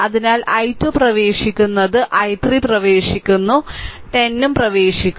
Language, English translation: Malayalam, So, i 2 is entering i 3 is entering and 10 is also entering